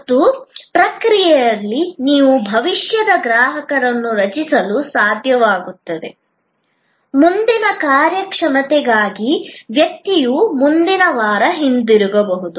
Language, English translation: Kannada, And in the process you may be able to create a future customer, the person may come back next weeks for the next performance